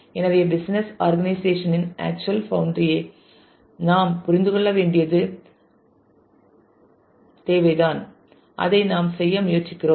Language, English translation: Tamil, So, this is where we we need to understand the actual boundary to the physical organization and that is what we have been trying to do